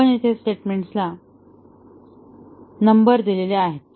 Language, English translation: Marathi, We number the statements here